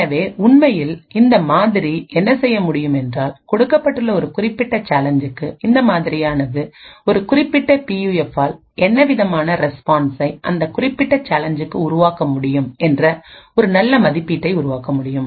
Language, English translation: Tamil, So what this model would be actually capable of doing is that given a particular challenge this particular model could create a very good estimate of what the response for a particular PUF should be for that specific challenge